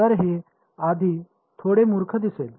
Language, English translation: Marathi, So, it will look a little silly at first